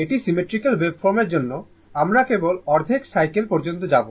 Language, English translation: Bengali, For symmetrical waveform, we will just go up to your half cycle